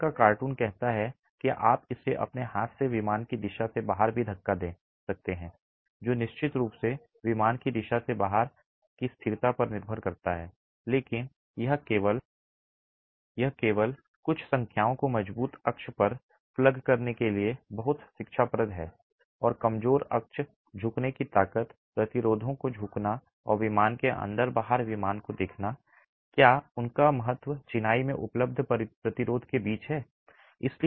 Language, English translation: Hindi, The cartoon there says you can even push it with your own hand in the out of plane direction which of course depends on the stability in the out of plane direction but it's very instructive to simply plug in some numbers to the strong axis and weak axis bending strength bending resistances and look at in plane versus out of plane is there significant difference between the resistance available in masonry